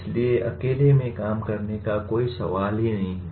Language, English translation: Hindi, So there is no question of anyone working in isolation